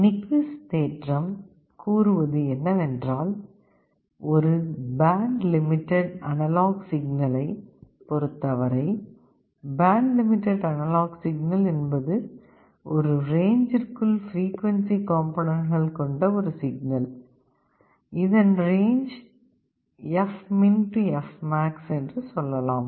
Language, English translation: Tamil, What Nyquist theorem says is that for a band limited analog signal, band limited signal means a signal that has frequency components within a range, let us say fmin to fmax